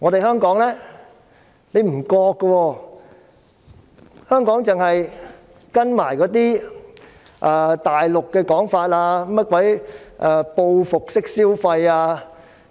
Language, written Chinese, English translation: Cantonese, 香港卻沒有這樣做，只是跟隨大陸的說法，談及"報復式消費"之類。, It has only followed the Mainland in talking about retaliatory consumption and such like